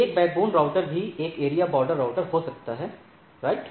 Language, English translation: Hindi, A backbone router can also be a area border router, right